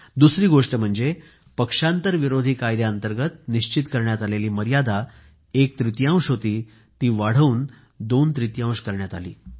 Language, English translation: Marathi, And the second one is that the limit under the Anti Defection Law was enhanced from onethirds to twothirds